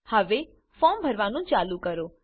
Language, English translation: Gujarati, Now, start filling the form